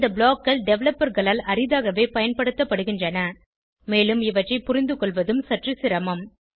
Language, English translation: Tamil, These blocks are used rarely by developers and are a bit difficult to understand